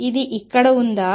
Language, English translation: Telugu, Is it here